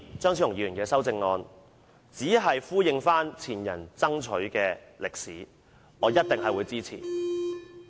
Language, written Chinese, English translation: Cantonese, 張超雄議員的修正案，只是呼應前人爭取的訴求，我一定會支持。, Dr Fernando CHEUNGs amendments just echo the demands of the predecessors and I will certainly support them